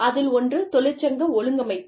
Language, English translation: Tamil, So, one is the union organization